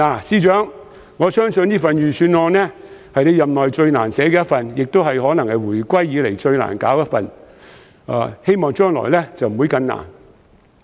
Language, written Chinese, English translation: Cantonese, 司長，我相信這份預算案是你任內最難寫的一份，亦可能是回歸以來最難寫的一份，希望將來不會更難。, Financial Secretary I believe this is the most difficult budget in your tenure and probably the toughest ever since the reunification . I hope the drafting of future budgets will not be increasingly difficult